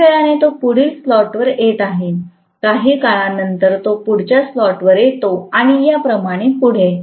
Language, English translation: Marathi, After sometime, it is coming to the next slot, after some more time it comes to the next slot and so on and so forth